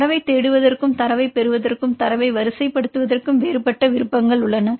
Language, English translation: Tamil, Then we have different options to search the data as well as to obtain the data and sort the data